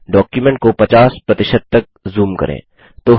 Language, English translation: Hindi, Let us zoom the document to 50%